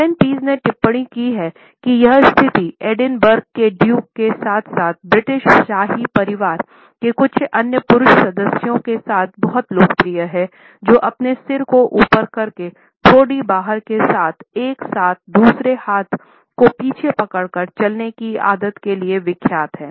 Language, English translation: Hindi, Allen Pease has commented that this particular position is very popular with the duke of Edinburgh as well as certain other male members of the British royal family who are noted for their habit of walking with their head up chin out and one hand holding the other hand behind the back